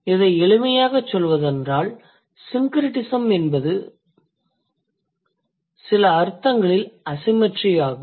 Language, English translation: Tamil, So, to put it in a simpler word, syncretism is the asymmetry in the expression of certain meanings